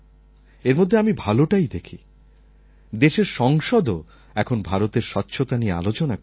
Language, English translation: Bengali, I look at the positive side of it, which is that even the parliament of the country is discussing about the issue of cleanliness in India